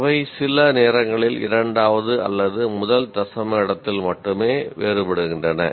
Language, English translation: Tamil, And the marks do not differ, they differ only at sometimes at second decimal place or at the first decimal place